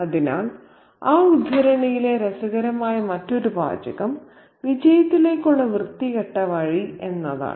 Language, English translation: Malayalam, So, the other interesting phrase in that excerpt is the sordid road to success